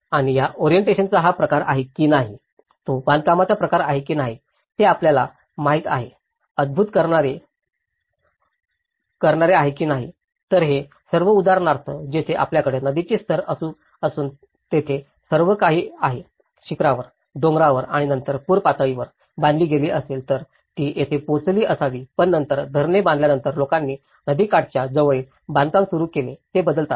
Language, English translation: Marathi, And whether it is the form of orientation, whether it is the type of construction, whether it is a citing out you know, so this all for instance, here, you have these normal setup where you have the river level and all of them have built on the top, on the mountains and then the average flood level in case, it might have reached here but then because, after the construction of dams, people started construction near the riverbeds, they change